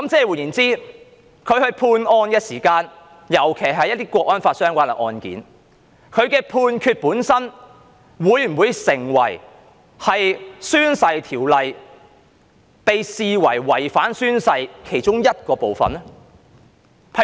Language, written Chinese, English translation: Cantonese, 換言之，當他判案時，特別是一些與《香港國安法》相關的案件，他的判決本身會否成為在《條例》下被視為違反誓言的其中一個部分呢？, In other words when a judge makes a judgment especially when it comes to cases relating to the Hong Kong National Security Law will his judgment per se be considered a contravention of a part of the oath under the Ordinance?